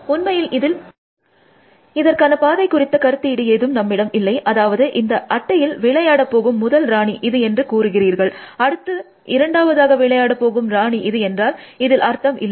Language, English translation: Tamil, In fact, there is no notion of a path there, I mean unless, you say this is the first queen to plays on the board, and this is second queen to plays on the board, that does not make sense